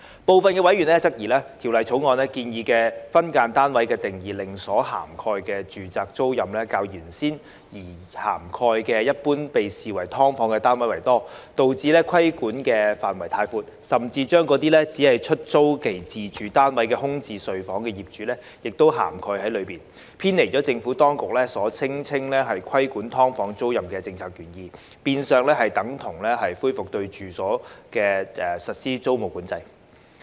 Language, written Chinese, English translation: Cantonese, 部分委員質疑，《條例草案》建議的分間單位定義令所涵蓋的住宅租賃較原先擬涵蓋一般被視為"劏房"的單位為多，導致規管範圍太闊，甚至把那些只是出租其自住單位空置睡房的業主亦涵蓋在內，偏離了政府當局所聲稱規管"劏房"租賃的政策原意，變相等同恢復對住宅處所實施租務管制。, Some members have queried that the Bill proposes to adopt a definition of SDU which would have an effect of broadening the scope of regulation to cover more domestic tenancies than originally intended . Consequently the proposed scope of regulation is so wide that it will capture those landlords who merely rent out their spare rooms in their residential flats deviating from the policy intent of regulating tenancies of SDUs purported by the Administration and almost amounts to revival of tenancy control on residential premises